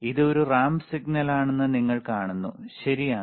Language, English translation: Malayalam, If I want to see a ramp, then you see this is a ramp signal, right